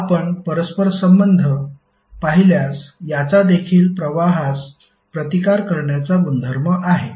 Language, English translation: Marathi, If you correlate this will also have the property to resist the flow